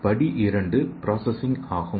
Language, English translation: Tamil, And step 2 is processing